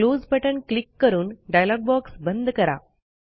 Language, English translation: Marathi, Click on the Close button to close the dialog box